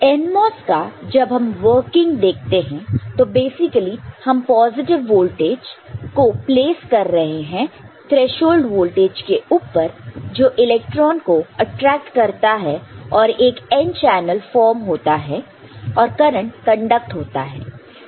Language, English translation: Hindi, While in NMOS when we look at the working of the NMOS, so, basically you are forming a, placing a positive voltage above a threshold voltage which attracts electrons and the n channel is formed and the current conducts